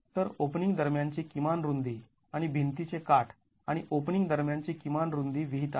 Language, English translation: Marathi, So, minimum width between openings and minimum width between the edge of the wall and the opening is prescribed